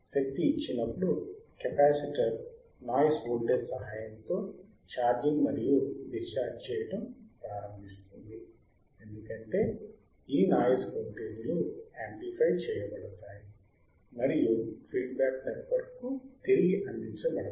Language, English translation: Telugu, And When power is given, the capacitor will start charging and discharging right be with the help of the noise voltage;, because this noise voltages are amplified and we are provided back to the feedback network from here right